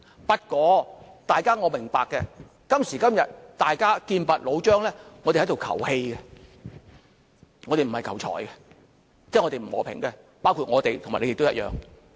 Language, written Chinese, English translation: Cantonese, 不過，我明白今時今日，大家劍拔弩張，我們只是求氣，並不是求財，即是我們不求和平，包括我們和你們也一樣。, Nevertheless I understand that the hostility is so intense in these days that we are taking it personally instead of taking it professionally . That is to say we are not looking for a peaceful solution . Be it you or me we are just the same